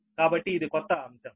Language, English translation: Telugu, so this is a new topic